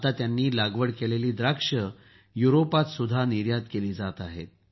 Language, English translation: Marathi, Now grapes grown there are being exported to Europe as well